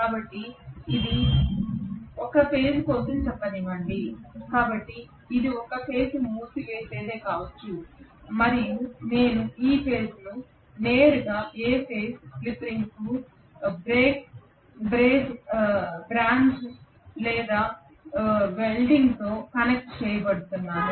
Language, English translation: Telugu, So this is let us say for A phase, so may be this is A phase winding and I am going to connect this A phase directly to the A phase slip ring brazed or welded